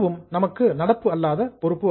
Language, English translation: Tamil, That is also a non current liability for us